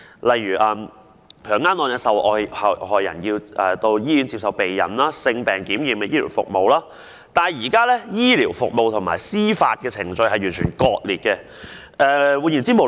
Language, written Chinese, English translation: Cantonese, 例如強姦案的受害人要到醫院接受避孕、性病檢驗的醫療服務，但現時醫療服務與司法程序完全割裂。, For example rape victims must go to the hospital and receive post - contraception treatment and tests on sexually transmitted diseases . However the existing health care and legal procedures are completed fragmented